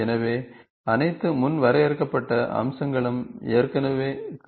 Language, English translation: Tamil, So, it all predefined features are already available